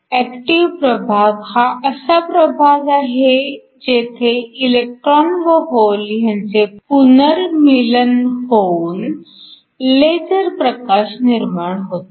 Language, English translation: Marathi, The active region is the region where your electrons and holes recombine in order to produce the laser light